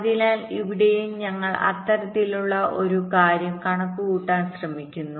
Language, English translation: Malayalam, ok, so here also we are trying to calculate that kind of a thing